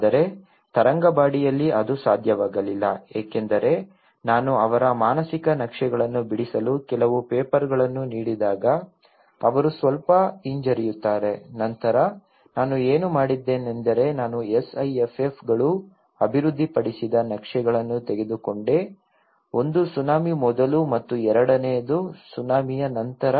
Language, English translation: Kannada, But in Tarangambadi, it was not possible because when I gave some papers to draw their mental maps, they were bit hesitant to draw the hand started shivering then what I did was I have taken the maps developed by SIFFs one is before tsunami and the second one is after tsunami